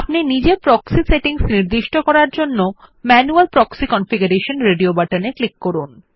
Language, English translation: Bengali, To enter the proxy settings manually, click on Manual proxy configuration radio button